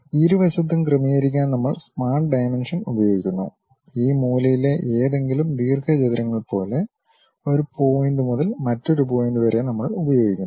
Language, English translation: Malayalam, We use smart dimensions to adjust on both sides we use something like a any of these corner rectangle from one point to other point